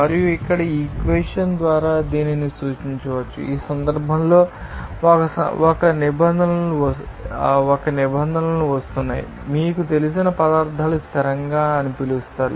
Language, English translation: Telugu, And this can be represented by this equation here, where in this case one terms is coming, it is called you know materials constant